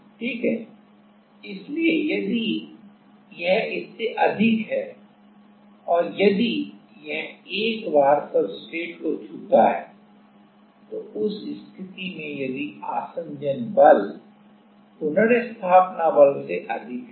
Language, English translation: Hindi, So, if it is more than that and if it once it touches the once it touches the substrate, then in that case if the adhesion forces are higher than the restoring force